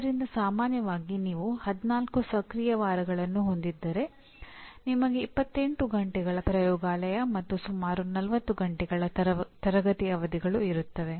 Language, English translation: Kannada, So generally if you have 14 weeks, active weeks that you have, you have 28 hours of laboratory and about 40 hours of classroom sessions